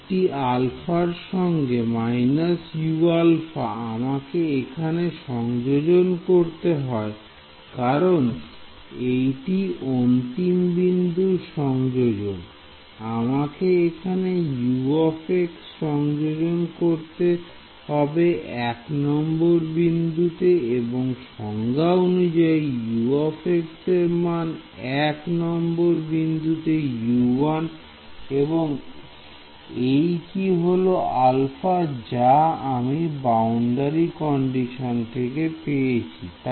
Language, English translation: Bengali, U 1 with an alpha minus alpha U 1 I have to substitute here this is an end point substitution, I have to substitute the value of U x at node 1 and I by definition the value of U x at node 1 is U 1 and this is the alpha that came from the boundary condition right